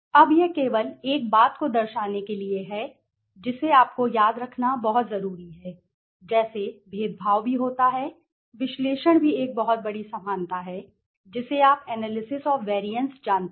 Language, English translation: Hindi, Now this is just to show right now one thing that is very important you need to remember is like discriminate also analysis also has a very large similarity with you know analysis of variance right